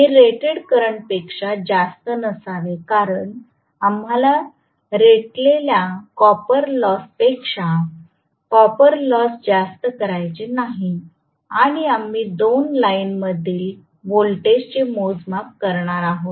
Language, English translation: Marathi, It should not exceed rated current because we do not want to make the copper losses greater than rated copper losses and we are going to measure the voltage across 2 lines